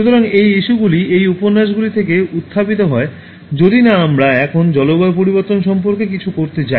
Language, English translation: Bengali, So, these are issues, these novels are rising unless we are going to do something about climate change now